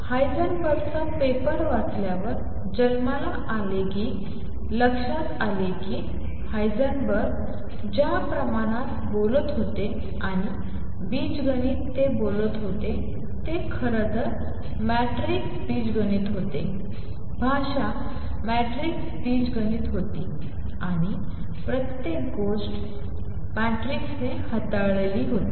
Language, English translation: Marathi, Born on reading Heisenberg’s paper realized that the quantities that Heisenberg was talking about and the algebra, he was talking about was actually that of matrix algebra; the language was that of matrix algebra and everything was dealt with matrices